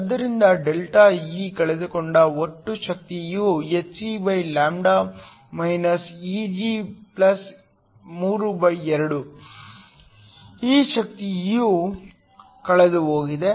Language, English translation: Kannada, So, the total energy lost delta E is nothing but hc Eg+32, this energy lost